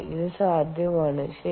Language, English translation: Malayalam, now, is that possible